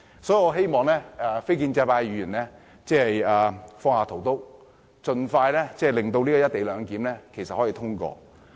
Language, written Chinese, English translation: Cantonese, 所以，我希望非建制派議員放下屠刀，盡快令實施"一地兩檢"安排的《條例草案》通過。, This is why I hope Members from the non - establishment camp can enable the Bill that implements the co - location arrangement to be passed expeditiously